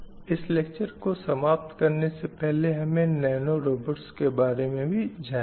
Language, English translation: Hindi, So before I conclude the lecture, I will also show you another upcoming area called nano robots